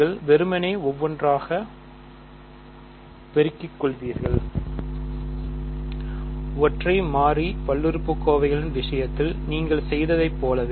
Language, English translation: Tamil, You will simply one by one, you multiply; just like you did in the case of single variable polynomials